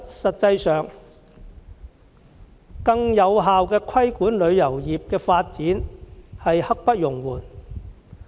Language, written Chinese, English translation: Cantonese, 實際上，更有效規管旅遊業的發展實在刻不容緩。, As a matter of fact the effective regulation of the development of the travel industry is a pressing task